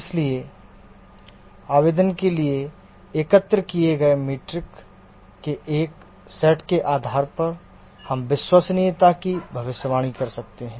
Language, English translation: Hindi, So based on a set of metrics that are collected for the application, we can predict the reliability